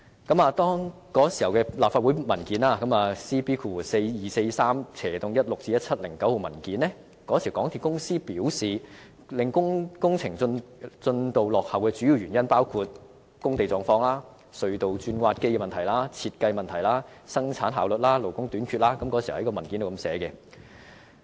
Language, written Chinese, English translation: Cantonese, 根據當時的立法會 CB4243/16-17 號文件，港鐵公司表示，令工程進度落後的主要原因，包括：工地狀況、隧道鑽挖機事宜、項目設計、生產效率、勞工短缺等，這是當時文件的說法。, In accordance with the LC Paper No . CB424316 - 1709 MTRCL advised that the major causes of project delay included unforeseen site conditions issues relating to tunnel boring machines project design variations low production rates and labour shortage . The above is mentioned in the paper